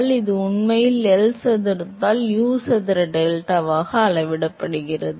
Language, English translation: Tamil, So, this really scales as U square delta by L square